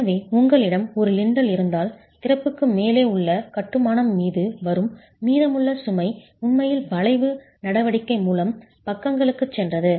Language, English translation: Tamil, So if you had a lintel there, the rest of the load, whatever is coming onto the masonry above the opening has actually gone down to the sides by the arching action